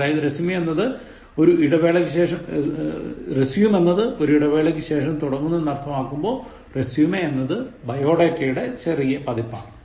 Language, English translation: Malayalam, So, resume is to continue after a break, résumé refers to a short bio data